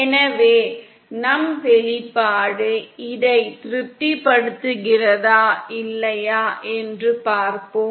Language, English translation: Tamil, So let’s see whether our expression is satisfying this or not